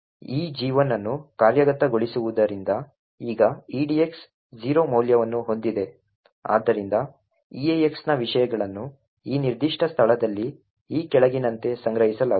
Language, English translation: Kannada, Now edx has a value of 0 due to this gadget 1 getting executed therefore the contents of eax would be stored in this particular location over here as follows